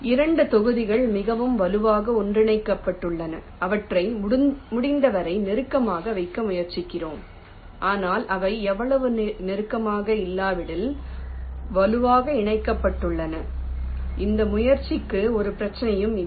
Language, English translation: Tamil, the two blocks which are more strongly connected together, we try to put them as close together as possible, but if they are not so close strongly connected, they maybe put a little for the effort, no problem